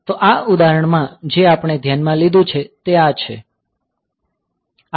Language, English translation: Gujarati, So, in this example that we have considering